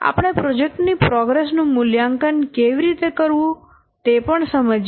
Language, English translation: Gujarati, We have also explained how to assess the progress of a project